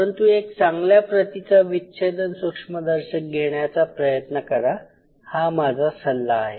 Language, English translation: Marathi, So, but try to get a good dissecting microscope my first suggestion